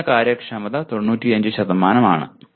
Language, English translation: Malayalam, The minimum efficiency is 95%